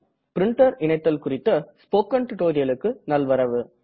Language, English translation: Tamil, Hello and welcome to the spoken tutorial on Printer Connection